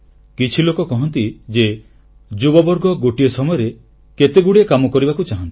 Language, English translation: Odia, Some people say that the younger generation wants to accomplish a many things at a time